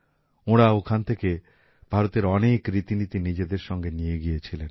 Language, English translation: Bengali, They also took many traditions of India with them from here